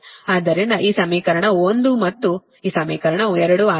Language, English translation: Kannada, so this equation is one and this equation is two right